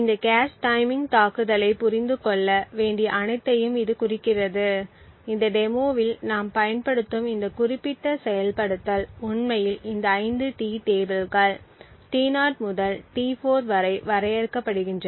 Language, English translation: Tamil, This is about all that require to understand this cache timing attack, this specific implementation that we will use in this demonstration actually uses 5 T tables T0 to T4 out of these 5 tables the 1st 4 are important to us